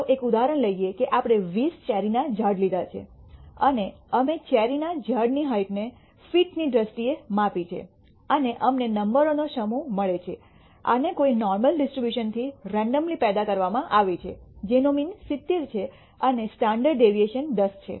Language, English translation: Gujarati, Let us take one example we have taken 20 cherry trees and we have measured the heights of the cherry trees in terms in feet and we got let us say the set of bunch of numbers; generated these randomly from a normal distribution with some mean which is 70 and the standard deviation of 10